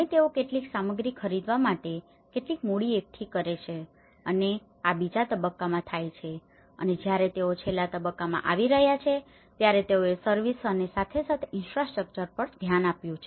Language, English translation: Gujarati, And they raise some funds together to for buying some materials and this is where the stage two have occurred and the stage two in the last stage when they are about to get so they looked into the service infrastructure as well